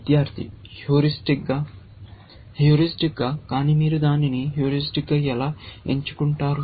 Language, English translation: Telugu, Student: Heuristically Heuristically, but how do you choose that heuristically